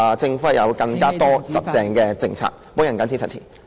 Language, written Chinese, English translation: Cantonese, 政府有更多堅實的政策，我謹此陳辭。, more solid policies from the Government . I so submit